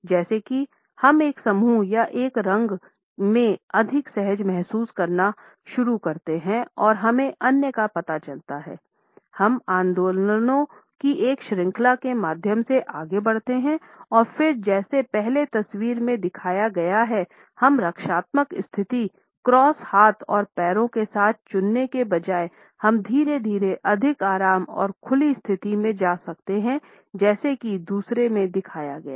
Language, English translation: Hindi, As we begin to feel more comfortable in a group or in a dyad and we get to know others, we move through a series of movements and then instead of opting for a defensive position with crossed arms and legs as a displayed in the first photograph, we can gradually move to a more relaxed and open position as is shown in the second one